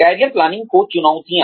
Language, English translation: Hindi, Challenges to Planning Careers